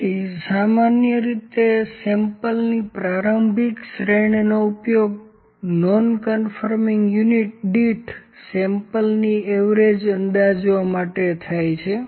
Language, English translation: Gujarati, So, typically an initial series of samples is used to estimate the average number of non conforming units per sample